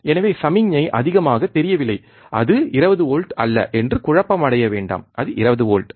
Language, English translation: Tamil, So, do not get confuse that the signal is not looking higher and it is not 20 volt it is 20 volts